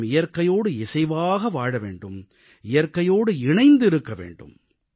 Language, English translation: Tamil, We have to live in harmony and in synchronicity with nature, we have to stay in touch with nature